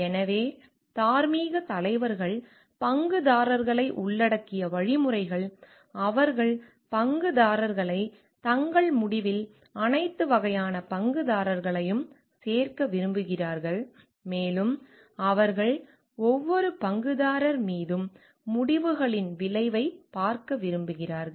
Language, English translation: Tamil, So and moral leaders are stakeholder inclusive means, they want to include the stakeholders all kind of stakeholders in their decision and they want to see the effect of the decisions on each of the stakeholders